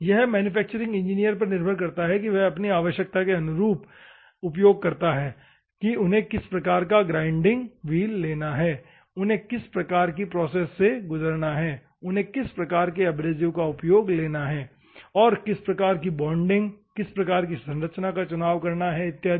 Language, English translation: Hindi, It is up to the manufacturing engineer to decide, depend on his requirement, which type of wheel they have to go, which type of process they have to go, which type of abrasives they have to go and what type of bonding what type of structure and all those things are there